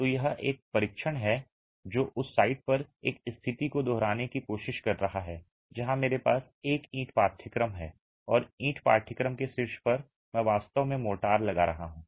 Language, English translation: Hindi, So, it's a test that is trying to replicate a condition at the site where I have a brick course and on top of the brick course I'm actually placing motor